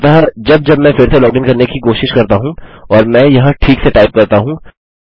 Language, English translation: Hindi, So now when I try to log back in and let me type this properly